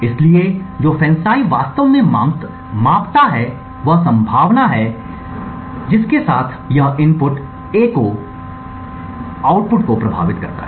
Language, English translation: Hindi, So, what FANCI actually measures, is the probability with which this input A affects the output